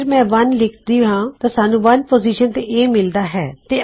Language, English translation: Punjabi, If I put 1 then we get A is in position 1